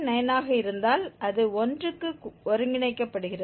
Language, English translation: Tamil, 9 then it is converging to 3